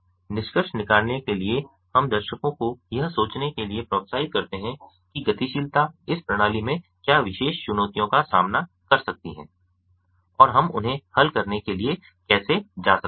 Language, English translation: Hindi, to conclude, we encourage the viewers to think about what particular challenges the mobility can introduce into this system and how we may go invoke solving them